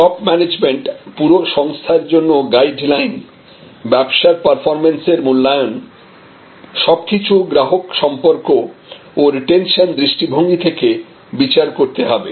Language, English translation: Bengali, The top management, the guideline to the entire organization, assessment of business performance, all must be made in terms of customer retention, customer relation